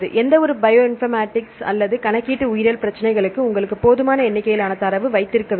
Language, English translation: Tamil, For any Bioinformatics or computational biology problems you need to have a sufficient number of data